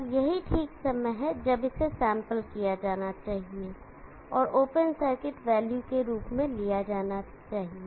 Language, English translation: Hindi, And that is precisely the time when it has to be sampled and take as the open circuit value